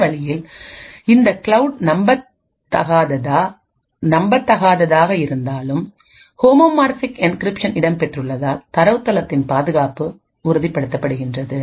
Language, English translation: Tamil, In this way even though this cloud is un trusted the security of the database is ensured because of the homomorphic encryption present